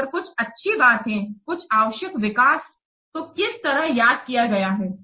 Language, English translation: Hindi, So if there is what some good thing, some necessary development, so somehow that has been missed